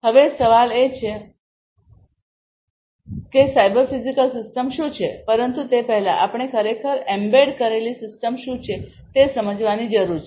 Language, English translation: Gujarati, Now, the question is that what is a cyber physical system, but before that we need to really understand what is an embedded system